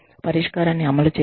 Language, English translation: Telugu, Implement the action or solution